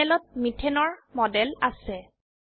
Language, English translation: Assamese, We have a model of methane on the panel